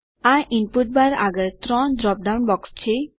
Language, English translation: Gujarati, There are 3 drop down boxes next to the input bar